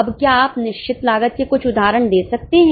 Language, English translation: Hindi, Now, can you give some examples of fixed costs